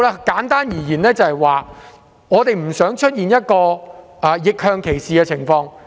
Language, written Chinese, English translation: Cantonese, 簡單而言，我們不想出現逆向歧視的情況。, To put it simply we do not wish to see the occurrence of reverse discrimination